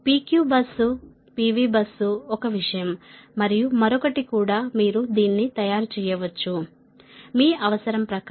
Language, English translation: Telugu, p q bus is one thing, answer other also you can make it right as per your requirement